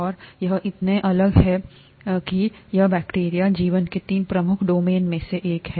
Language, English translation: Hindi, And it is so different, and so big that it is bacteria, is one of the three major domains of life, okay